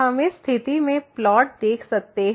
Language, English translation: Hindi, We can see the situation in this plot